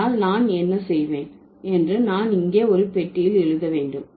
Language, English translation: Tamil, So, what I will do I will write here, there is a box, okay